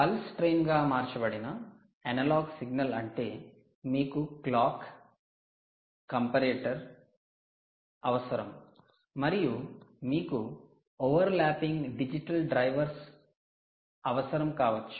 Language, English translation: Telugu, analogue signal converted to a pulse train means you need a clock, you need comparators, you did you perhaps need non overlapping digital drivers of some nature